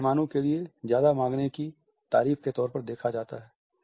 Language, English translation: Hindi, It is seen as a compliment for the guests to ask for more